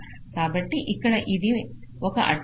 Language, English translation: Telugu, so this is one constraint here